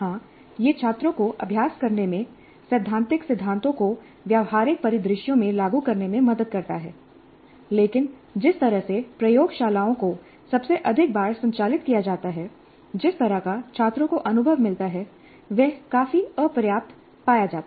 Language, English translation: Hindi, Yes, it does help the students in practicing in applying the theoretical principles to practical scenarios, but the way the laboratories are conducted, most often the kind of experience that the students get is found to be quite inadequate